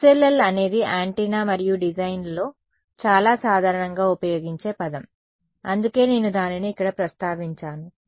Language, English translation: Telugu, SLL is a very commonly used word in antenna and design that's why I mention it over here